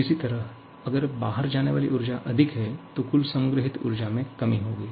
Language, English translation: Hindi, Similarly, the energy going out is more, then there will be reduction in the total stored energy